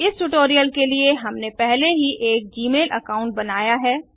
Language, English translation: Hindi, For the purpose of this tutorial, we have already created a g mail account